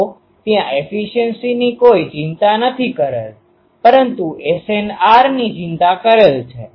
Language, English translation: Gujarati, So, efficiency is not a concern there, but SNR is a concern